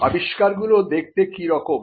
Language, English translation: Bengali, How inventions look